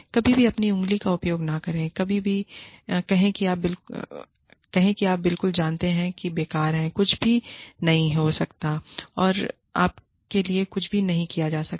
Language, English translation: Hindi, Do not ever, use your finger, and say, you are absolutely, you know, useless, nothing can happen to you, nothing can be done